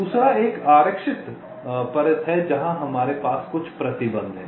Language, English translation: Hindi, the second one is the reserved layers, where we have some restrictions